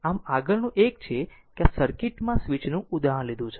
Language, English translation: Gujarati, So, next one is that another example in this case, the switch in the circuit